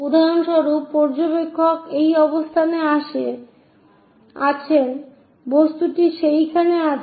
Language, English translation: Bengali, For example, observer is at this location, the object is that